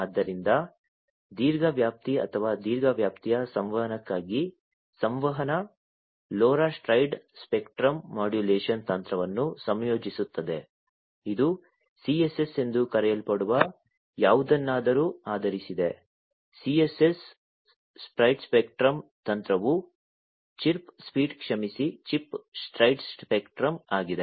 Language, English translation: Kannada, So, long range or communication for long range communication, LoRa incorporates a spread spectrum modulation technique, based on something known as the CSS, CSS spread spectrum technique the full form of which is chirp speed sorry Chip Spread Spectrum